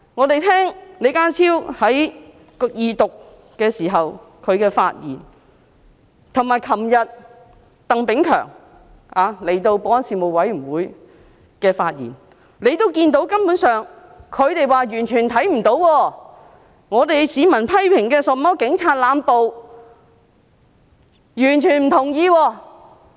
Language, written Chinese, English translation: Cantonese, 根據李家超在二讀時的發言，以及昨天鄧炳強出席保安事務委員會會議時的發言，他們說完全看不到曾出現市民所批評的警暴，他們完全不同意。, According to John LEEs speech in the Second Reading and the speech made by Chris TANG when he attended the Panel on Security meeting yesterday they said that they had not seen police brutality as criticized by the public at all and they totally disagreed